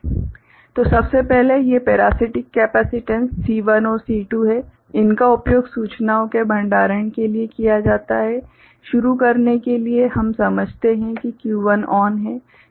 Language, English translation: Hindi, So, first of all, these parasitic capacitance is C1 and C2, they are used for storing of information; to start with we consider that Q1 ON